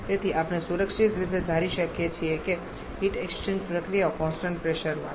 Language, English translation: Gujarati, So, we can safely assume the heat exchange processes to be at constant pressure